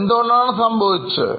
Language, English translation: Malayalam, Why this would have happened